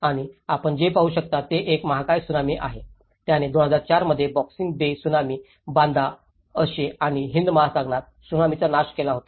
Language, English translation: Marathi, And what you can see is a Giant Tsunami which has been destructed the Banda Aceh and the Indian Ocean Tsunami in 2004, the Boxing Day Tsunami